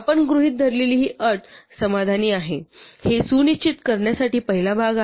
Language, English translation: Marathi, Anyway, all that this first part is doing is to ensure that this condition that we have assumed is satisfied